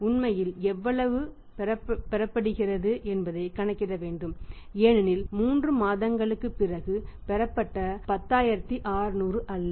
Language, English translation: Tamil, How much actually is getting that has to be calculated because say say say 11 10600 received after 3 months is not 10600